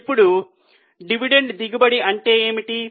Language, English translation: Telugu, Now what do you mean by dividend yield